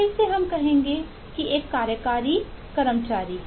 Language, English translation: Hindi, again, at least say an executive is an employee